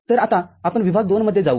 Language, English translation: Marathi, So, now, we go to region II